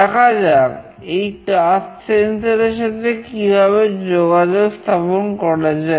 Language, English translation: Bengali, We will talk about the touch sensor